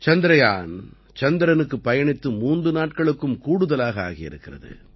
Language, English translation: Tamil, It has been more than three days that Chandrayaan has reached the moon